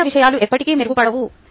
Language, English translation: Telugu, right, things will never improve